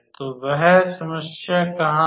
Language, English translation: Hindi, So, where is that problem